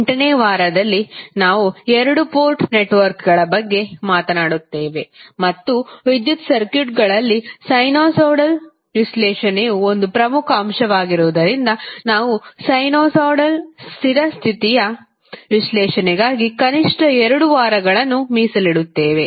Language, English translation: Kannada, Then, on week 8 we will talk about the 2 port network and since sinusoidal is also one of the important element in our electrical concept we will devote atleast 2 weeks on sinusoidal steady state analysis